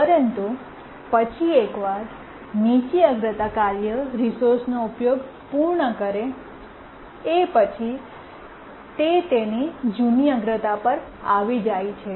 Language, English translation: Gujarati, But then once the low priority task completes its users of the resource, it gets back to its older priority